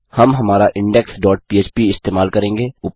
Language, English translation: Hindi, We will use our index dot php